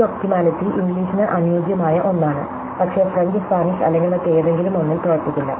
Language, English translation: Malayalam, So, this optimality is something which is optimal for English, may not work of French or any other Spanish or something